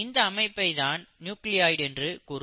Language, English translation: Tamil, Such a structure is what you call as the nucleoid